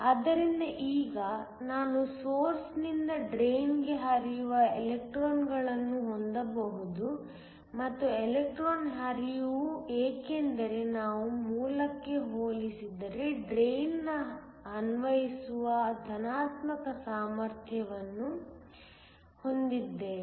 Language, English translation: Kannada, So, Now, I can have electrons flowing from the source to the drain and the electron flow is because we have a positive potential that is applied to the drain compared to the source